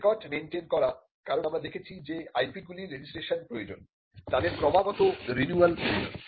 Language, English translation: Bengali, Maintaining records, because as we have seen the IP’s that require registration also required constant renewal